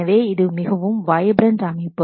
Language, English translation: Tamil, So, it is a very vibrant system